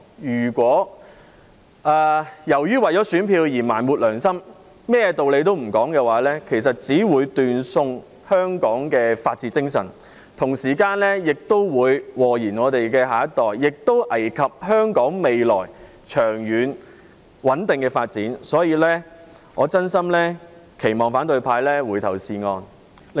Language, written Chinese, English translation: Cantonese, 如果為了選票而埋沒良心，甚麼道理也不談，其實只會斷送香港的法治精神，同時亦會禍延下一代，危及香港未來長遠穩定的發展，所以，我真心期望反對派回頭是岸。, If Members suppress their conscience or even refuse to engage in rational arguments only for the sake of soliciting votes they will actually destroy the rule of law in Hong Kong harm the next generation and undermine the stable and long - term development of Hong Kong in the future . Thus I sincerely hope that the opposition camp will repent